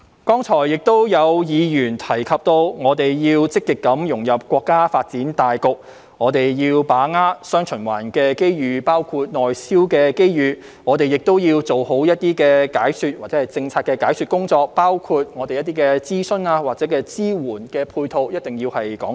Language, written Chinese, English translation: Cantonese, 剛才亦有議員提及我們要積極融入國家發展大局，要把握"雙循環"機遇，包括內銷的機遇，我們要做好政策的解說工作，包括一定要就諮詢或支援配套作清楚解釋。, Just now some Members also mentioned that we should actively integrate into the overall development of our country and seize the opportunities brought by dual circulation including tapping into the Mainland domestic market and we should explain the policies properly including giving a clear account of the consultation work or supporting and complementary measures